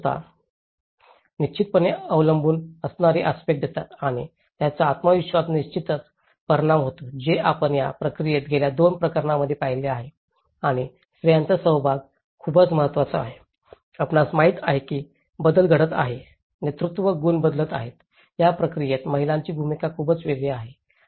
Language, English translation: Marathi, Whereas the state institutions provide certain dependency aspect and this definitely have an impact on the self esteem which in the last two cases, which we have seen and participation of women is very significant in this process, you know the change is happening, the leadership qualities are changing, the role of women is very different in this process